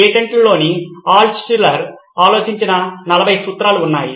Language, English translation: Telugu, There are 40 principles that Altshuller thought about saw this in the patents